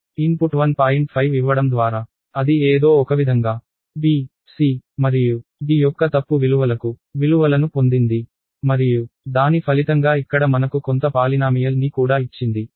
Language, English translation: Telugu, 5 somehow it got values for b, c and d incorrect values of course, and it gave me some polynomial here as a result also